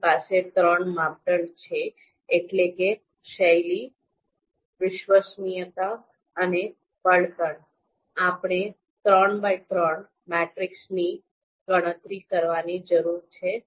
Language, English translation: Gujarati, So we have, since we have three criteria that is style, reliability and fuel, therefore we need to you know compute a three by three matrix